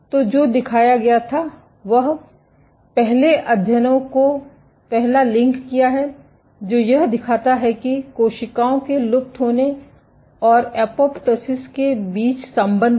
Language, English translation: Hindi, So, what was shown is the link the first one of the first studies what it showed was the linkage between cells fading and apoptosis ok